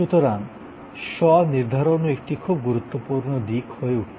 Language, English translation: Bengali, So, customization also is becoming a very important aspect